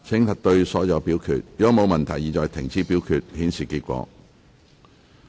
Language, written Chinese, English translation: Cantonese, 如果沒有問題，現在停止表決，顯示結果。, If there are no queries voting shall now stop and the result will be displayed